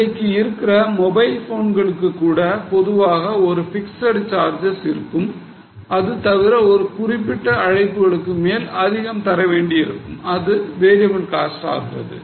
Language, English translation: Tamil, Even today, even for mobile phones, normally there could be a fixed charge and extra amount if it increases as for calls, it becomes a variable cost